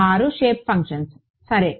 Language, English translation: Telugu, 6 shape functions ok